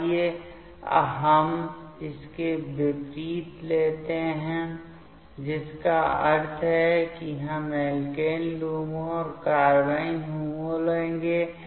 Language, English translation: Hindi, Let us take the opposite one that means, we will take the alkene LUMO and carbene HOMO